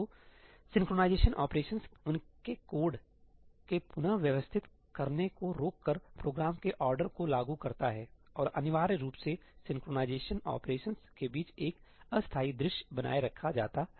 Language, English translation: Hindi, So, synchronization operations enforce program order by disallowing reordering of code around them and essentially a temporary view is maintained between synchronization operations